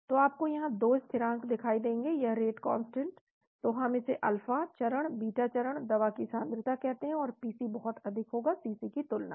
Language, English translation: Hindi, So you will see 2 constants here rate constants here, so we call this the alpha phase, beta phase, concentration of the drug, and the PC will be very high than CC